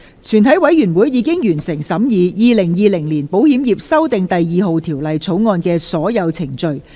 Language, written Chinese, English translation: Cantonese, 全體委員會已完成審議《2020年保險業條例草案》的所有程序。, All the proceedings on the Insurance Amendment No . 2 Bill 2020 have been concluded in the committee of the whole Council